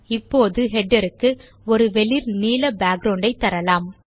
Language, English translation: Tamil, We will now, give the header a light blue background